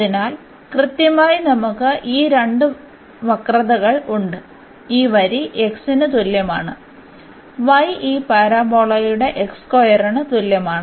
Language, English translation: Malayalam, So, precisely we have these two curves y is equal to x this line, and this y is equal to x square this parabola